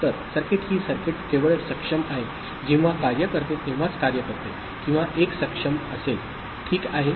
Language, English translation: Marathi, So, the circuit, this circuit is acting only when or made to work only when enable is at 1, ok